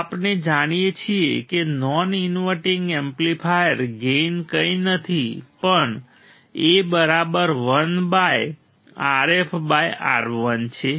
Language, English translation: Gujarati, So, non inverting amplifier gain we know gain is nothing, but A equal to 1 by R f by R I right